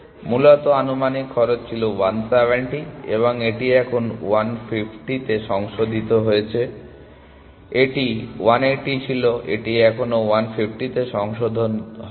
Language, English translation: Bengali, Originally the estimated cost was 170 and it got revised to 150 here, it was 180 it never got revised to 150